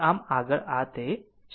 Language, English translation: Gujarati, So, this is what